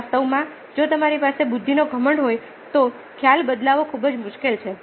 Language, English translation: Gujarati, in fact, in cases if you have the arrogance of intelligence, changing perception is very difficult